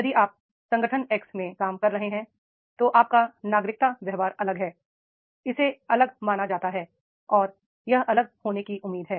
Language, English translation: Hindi, If you are working into the organization X then your citizenship behavior is different